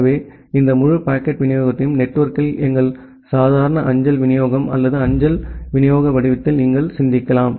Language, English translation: Tamil, So, you can you can here you can think of this entire packet delivery in the network in the form of our normal mail delivery or the postal mail delivery